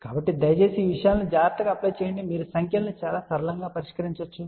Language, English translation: Telugu, So, please apply these things carefully you can solve the problems in a very simple manner